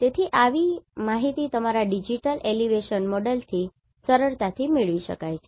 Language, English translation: Gujarati, So, such information can be easily derived from your digital elevation model